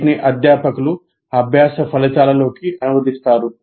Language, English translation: Telugu, So they have to translate into learning outcomes